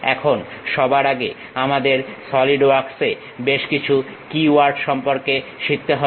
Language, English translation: Bengali, Now, first of all we have to learn few key words in solidworks